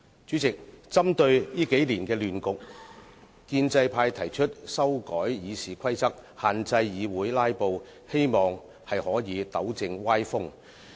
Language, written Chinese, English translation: Cantonese, 主席，針對這數年的亂局，建制派提出修改《議事規則》，限制議會"拉布"，希望可以糾正歪風。, President in light of the chaotic situation in these years the pro - establishment camp proposes to amend RoP for restricting filibusters in the Council with a view to rectifying the malady